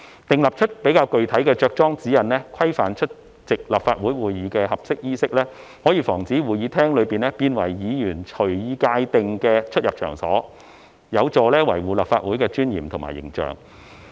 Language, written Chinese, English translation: Cantonese, 訂出較具體的着裝指引，規範出席立法會會議的合適衣飾，可防止會議廳變為議員隨意界定的出入場所，有助維護立法會的尊嚴及形象。, Drawing up more specific guidelines to prescribe the proper dress code for attending Council meetings can prevent the Chamber from being turned into a venue where Members may enter and exit at will . This will help safeguard the dignity and uphold the image of the Council